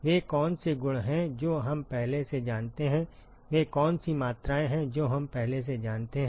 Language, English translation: Hindi, What are the properties that we know already, what are the quantities that we already know